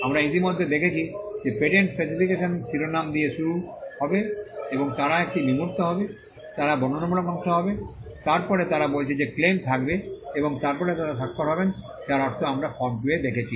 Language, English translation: Bengali, We had already seen that the patent specification shall start with the title they shall be an abstract, they shall be a descriptive part, then they say there shall be claims and then they shall be the signature I mean we saw that in the form 2